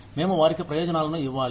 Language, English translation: Telugu, We need to give them benefits